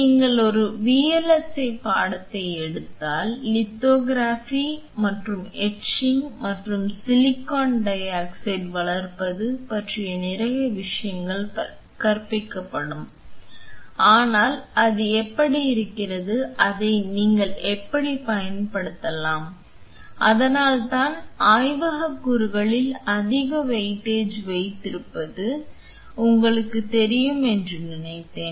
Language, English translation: Tamil, If you take a VLSI course will be taught a lot of things on lithography and etching and silicon dioxide growing, but how exactly it looks like and how can you use it and that is why I thought of you know keeping more weightage on the laboratory component